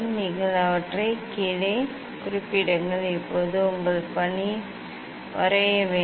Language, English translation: Tamil, you just note down them here note down them here Now, your task is to draw